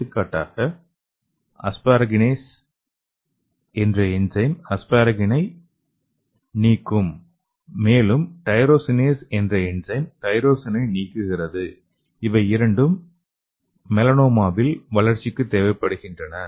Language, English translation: Tamil, For example, this enzyme like asparaginase it can remove the asparagine and also this tyrosinase enzyme that will remove the thyrosine which is recovered for melanoma growth